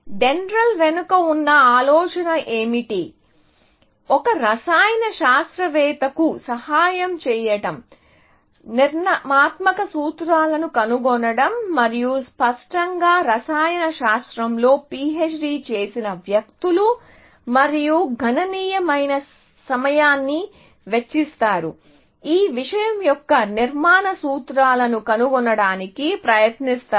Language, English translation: Telugu, So, the idea behind DENDRAL was to help a chemist, find structural formulas and apparently, people who have done PHD in chemistry, spend their considerable amount of time, trying to find the structural formulas of this thing